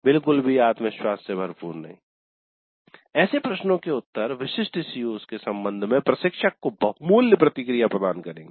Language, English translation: Hindi, So responses to such questions will provide valuable feedback to the instructor with respect to specific COs